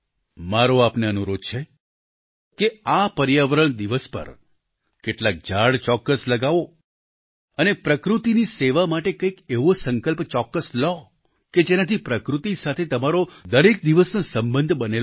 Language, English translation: Gujarati, I request you to serve nature on this 'Environment Day' by planting some trees and making some resolutions so that we can forge a daily relationship with nature